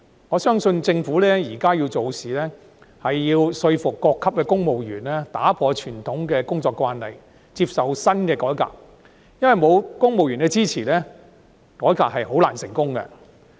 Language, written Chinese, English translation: Cantonese, 我相信政府現在做事，需要說服各級公務員打破傳統的工作慣例，接受新的改革，因為欠缺公務員的支持，改革是很難成功的。, I believe that to achieve anything now the Government needs to convince civil servants at all levels to break with conventional work practices and accept new reforms because reforms can hardly succeed without their support